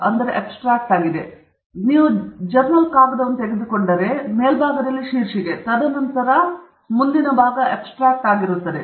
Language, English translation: Kannada, So, normally if you take a journal paper, on top is the title, and then, immediate next section is an abstract